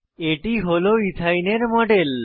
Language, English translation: Bengali, This is the model of Ethyne